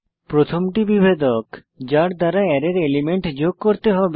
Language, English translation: Bengali, 1st is the delimiter by which the Array elements needs to be joined